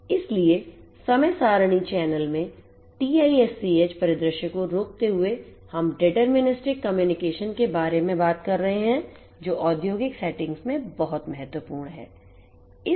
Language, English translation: Hindi, So, in a time schedule channel hopping TiSCH scenario we are talking about deterministic communication which is very important in industrial settings